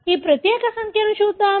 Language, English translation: Telugu, Let’s see this particular figure